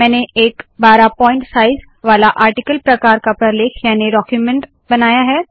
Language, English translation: Hindi, I have created a 12pt size, article class document